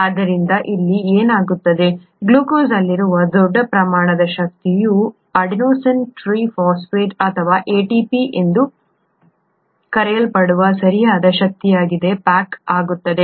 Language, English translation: Kannada, So that is what happens here, the large amount of energy in glucose gets packaged into appropriate energy in what is called an Adenosine Triphosphate or ATP